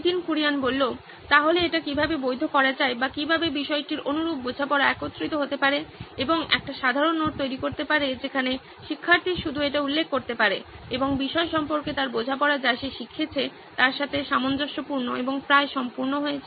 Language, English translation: Bengali, So how can this be validated or how can the similar understanding of topic come to pool and create a common note where student can just refer that and his understanding of the topic is in sync with what he has learnt and almost complete